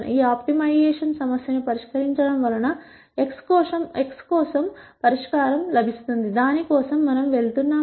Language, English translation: Telugu, Solving this optimization problem will result in a solution for x, which is what we are going for